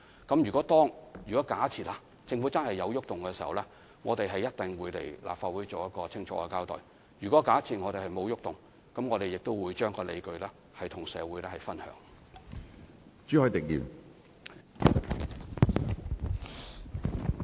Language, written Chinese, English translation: Cantonese, 假設政府真的對安排有所改動，我們一定會前來立法會清楚交代；而假設沒有改動，我們也會與社會分享有關理據。, If the Government does make changes to the arrangements we will definitely come to the Legislative Council to give a clear account of the situation . And if no changes are to be made we will also share the relevant justifications with the community